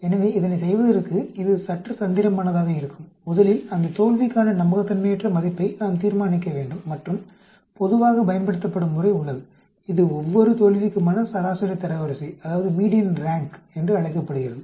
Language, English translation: Tamil, So in order do that it is bit tricky, first we need to determine a value indicating the corresponding unreliability for that failure and general method that is used, it is called the median rank for each failure